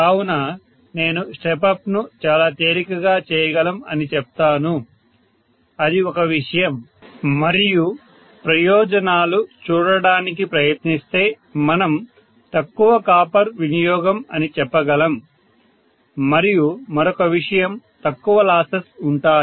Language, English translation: Telugu, So I would say step up action is done quite easily that is one thing and advantages if I try to look at it we can say less copper utilization, right